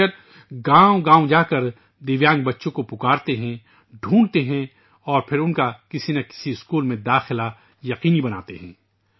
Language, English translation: Urdu, These teachers go from village to village calling for Divyang children, looking out for them and then ensuring their admission in one school or the other